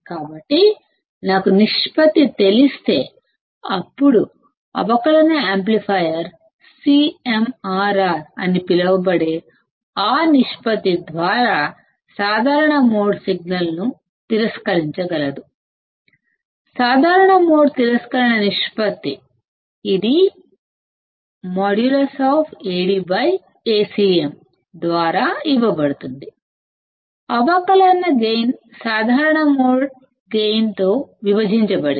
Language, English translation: Telugu, So, if I know the ratio; then the differential amplifier can reject the common mode signal by that ratio called CMRR; Common Mode Rejection Ratio, it is given by mod of Ad by Acm; differential gain divided by common mode gain